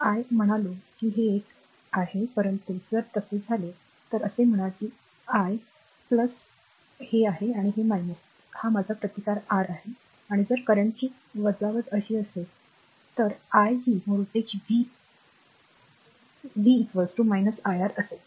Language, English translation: Marathi, So, I mean this is this is one, but if it happen so, if it happen so say this is I making plus this is minus, this is my resistance R, and if the deduction of the current is like this, this is i these voltage is v, then v will be is equal to minus iR